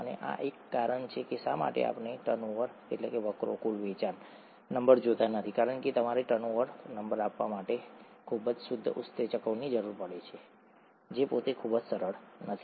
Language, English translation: Gujarati, And this is one of the reasons why we don’t look at turnover number because you need highly pure enzymes to even measure turnover number which itself is not very straightforward